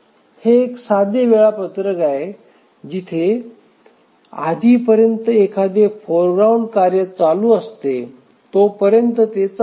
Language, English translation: Marathi, So, it's a simple scheduler where as long as there is a foreground task it runs